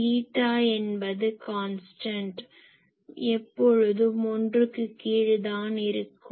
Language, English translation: Tamil, This eta is a constant it is always less than 1